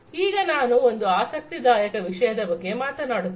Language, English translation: Kannada, Now, let me talk about an interesting thing